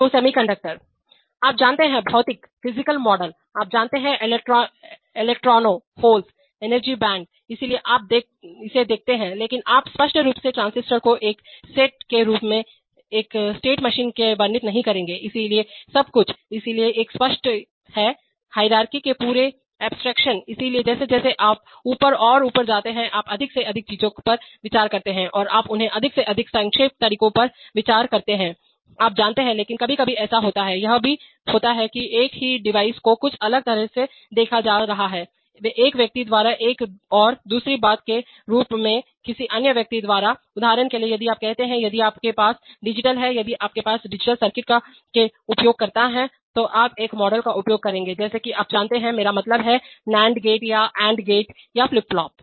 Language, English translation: Hindi, So semiconductors have, you know, physical models, you know, electrons, holes, energy bands, so you see that, but you obviously will not describe a state machine by a, as a set of transistors, so everything, so there is a whole hierarchy of abstractions, so as you go up and up you consider more and more things and you consider them in more and more abstracted ways, you know, but sometimes it happens, it also happens that the same device is being looked at as something by one person and by another thing as another person, for example say if you are, if you have the digital, if you are the user of a digital circuit then you will use a model like in, you know, I mean, that of nand gate or and gate or flip flop